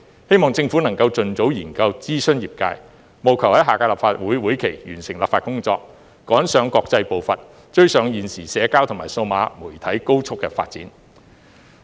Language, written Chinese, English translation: Cantonese, 希望政府能盡早研究及諮詢業界，並務求在下屆立法會會期內完成立法工作，追上國際步伐，追上現時社交及數碼媒體高速的發展。, I hope the Government can expeditiously start the study and consult the industry and strive to complete the legislative procedure in the next legislative session so as to catch up with the international pace and the current rapid development of the social and digital media